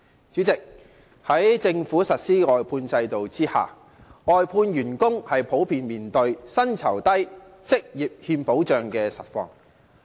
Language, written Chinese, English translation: Cantonese, 主席，在政府實施的外判制度下，外判員工普遍面對薪酬低、職業欠保障的實況。, President under the outsourcing system implemented by the Government outsourced workers generally face the reality of low salaries and a lack of job security